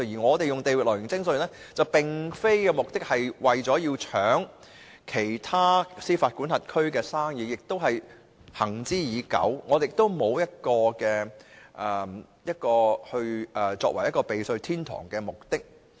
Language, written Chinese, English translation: Cantonese, 我們採用地域來源徵稅原則，目的並非要搶奪其他司法管轄區的生意，這一原則行之已久，目的並非讓香港成為避稅天堂。, We have not adopted the territorial source principle of taxation for the purpose of seizing the businesses of other jurisdictions . Such a well - established principle does not aim at making Hong Kong a tax haven